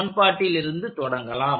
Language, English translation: Tamil, So, I will write those equations